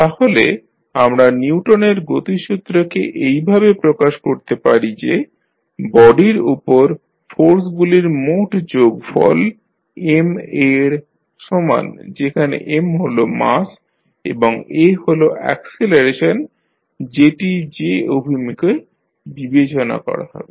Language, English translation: Bengali, So, we can represent the Newton’s law of motion as we say that the total sum of forces applied on the body equal to M into a, where M is the mass and a is the acceleration which is in the direction considered